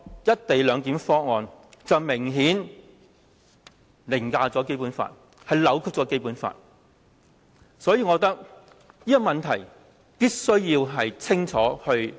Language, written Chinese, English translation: Cantonese, "一地兩檢"明顯是凌駕和扭曲《基本法》。所以，我認為這個問題必須釐清。, The co - location arrangement obviously overrides and distorts the Basic Law so I think there is the need for clarification here